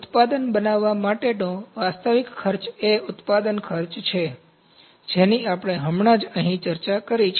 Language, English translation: Gujarati, Actual cost that is there to make a product is manufacturing cost that we have just discussed here, this is manufacturing cost